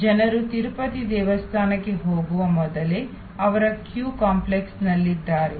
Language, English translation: Kannada, So, people even before they get to the Tirupati temple, they are in the queue complex